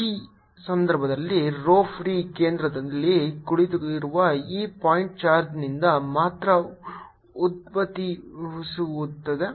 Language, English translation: Kannada, in this case, rho free arises only from this point charge sitting at the centre